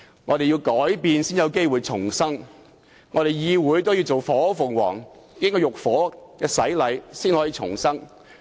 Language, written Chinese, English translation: Cantonese, 我們必須改變才有機會重生，議會也要做火鳳凰，要經過浴火的洗禮才得以重生。, In order to start anew we must change . In order for this Council to emerge as a phoenix it must go through some sort of baptism